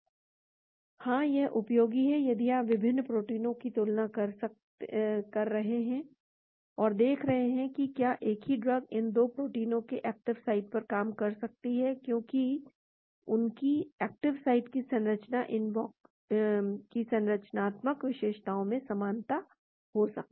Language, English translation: Hindi, Yeah this is useful if you are going to have a comparison of different proteins and see whether the same drug may be acting on these active sites of these 2 proteins because they may have similarities in their active sites structural features